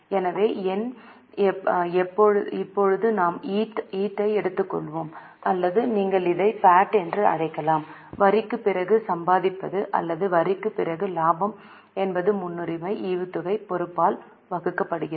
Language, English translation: Tamil, So, numerator now we have taken EAT or you can also call it PAT, earning after tax or profit after tax divided by preference dividend liability